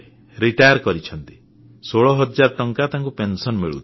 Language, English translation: Odia, He receives a pension of sixteen thousand rupees